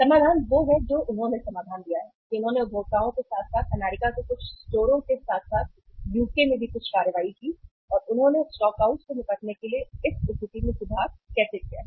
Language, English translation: Hindi, Solution is what they have given the solution they have found the consumers as well as the some of the stores in US as well as in UK they have taken some actions also and how they have improved this situation to deal with the stockouts